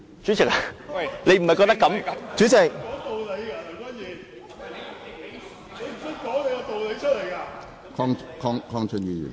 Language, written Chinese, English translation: Cantonese, 主席，你不是這樣吧。, President you are not acting in this way are you?